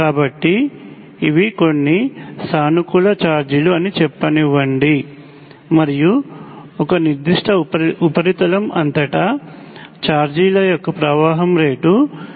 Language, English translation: Telugu, So let say these are some positive charges, and the rate of flow of charges which is basically dQ by dt across a certain surface is the current through the surface